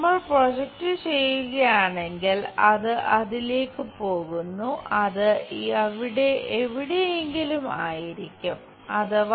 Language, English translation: Malayalam, If we are making projection goes on to that and that will be somewhere here a